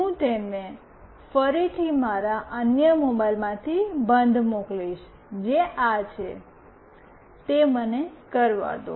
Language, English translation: Gujarati, I will again send it OFF from my other mobile, which is this one let me do that